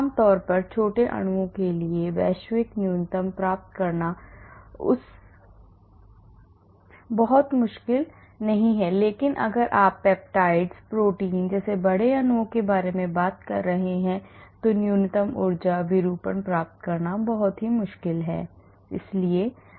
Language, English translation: Hindi, Generally, for small molecules it is not very difficult to attain global minimum but if you are talking about large molecules like peptides, proteins it is very very difficult to attain a minimum energy conformation